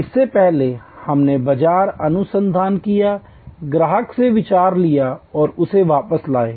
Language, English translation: Hindi, Earlier, we did market research, took ideas from customer and brought it back